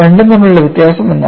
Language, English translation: Malayalam, What is the difference between the two